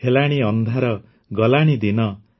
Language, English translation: Odia, The day is gone and it is dark,